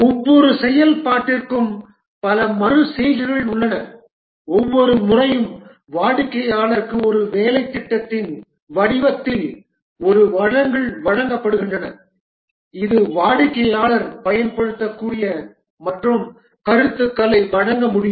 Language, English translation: Tamil, There are number of iterations for each functionality and each time a deliverable is given to the customer in the form of a working program which the customer can use and give feedback